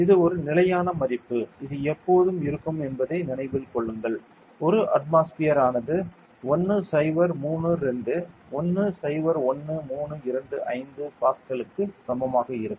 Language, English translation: Tamil, This is a standard value remember this is always; 1 atmosphere is equal to 10 32 101325 Pascal ok